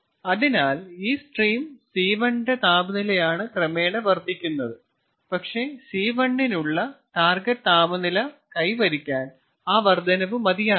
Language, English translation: Malayalam, so its the temperature of this stream, c one, that is gradually being increased, but that increase may not be sufficient for achieving the target temperature for c one